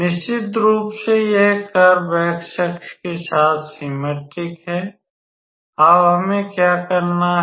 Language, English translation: Hindi, So, of course, this curve is symmetric at the point along the x axis